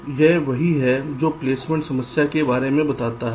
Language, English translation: Hindi, so this is what the placement problem talks about now